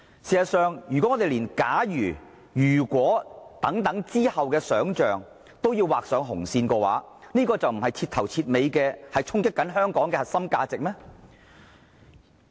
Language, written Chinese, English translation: Cantonese, 事實上，如果我們連"假如"和"如果"之後的想象也要劃上紅線，這豈非徹頭徹尾地在衝擊香港的核心價值嗎？, If a red line has to be drawn even on imagination about the future is it not an outright challenge to the core values of Hong Kong?